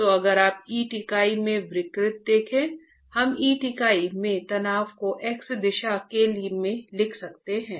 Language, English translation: Hindi, So if you look at the deformation in the brick unit, we can write down the strain in the brick unit in the X direction